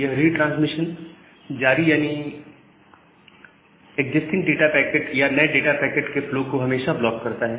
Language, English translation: Hindi, And retransmit always block the flow of the existing data packet or the new data packets